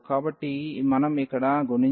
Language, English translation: Telugu, So, y we have has to be multiplied here